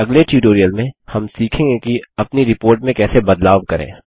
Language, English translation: Hindi, In the next tutorial, we will learn how to modify our report